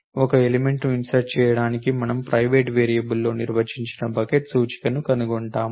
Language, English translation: Telugu, To insert an element we find the bucket index that is as define in the private variable